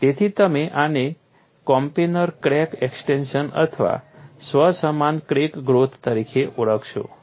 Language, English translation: Gujarati, So, you will call this as coplanar crack extension or self similar crack growth